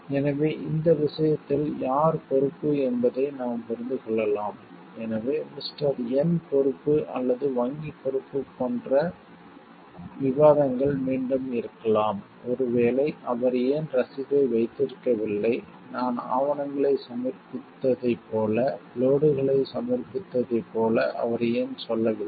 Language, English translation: Tamil, So, there in this case we can understand who is at fault who is responsible, so like mister yen is responsible or the bank is responsible there could be again debates of a like why maybe he has not kept the receipt and why the he did not tell like I have submitted the documents I have submitted the load